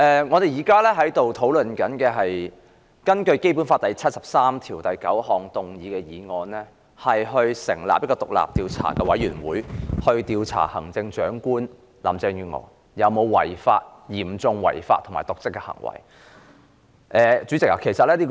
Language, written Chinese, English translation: Cantonese, 我們現在討論的是根據《基本法》第七十三條第九項動議議案，以組成獨立調查委員會，調查對行政長官有嚴重違法及/或瀆職行為的指控。, The motion under discussion now was moved under Article 739 of the Basic Law and calls for the setting up of an independent investigation committee to investigate the Chief Executive for alleged serious breaches of law andor dereliction of duty